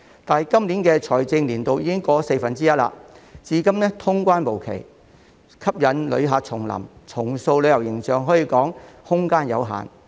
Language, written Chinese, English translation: Cantonese, 但是，今年的財政年度已經過了四分之一，至今通關無期，吸引旅客重臨和重塑旅遊形象可說是空間有限。, However given that a quarter of the current financial year has elapsed and no timetable has been set for the resumption of cross - boundary travel there is arguably limited room for bringing back visitors and reinventing our tourism brand